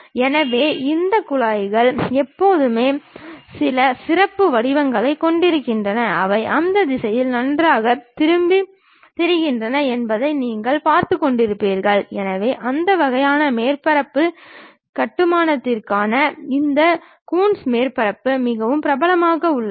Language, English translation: Tamil, So, these ducts always have some specialized kind of form, if you are looking at that they nicely turn and twist in that directions, for that kind of surface construction these Coons surfaces are quite popular